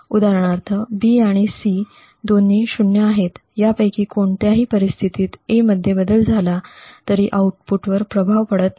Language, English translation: Marathi, For example, given that B and C are both 0s, a change in A does not influence the output in any of these cases